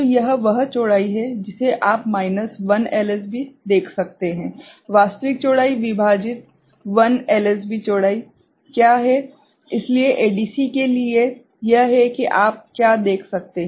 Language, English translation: Hindi, So, this is the width that you can see minus 1 LSB, what is the actual width divided by 1 LSB width, so that is how for ADC that is what you can see